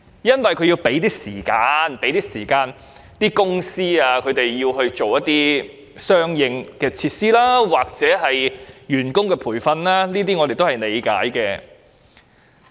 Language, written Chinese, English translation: Cantonese, 政府的目的，是要為公司預留時間準備相應設施及員工培訓，我們對此表示理解。, We understand that the Government aims to allow enterprises more time to prepare for complementary facilities and staff training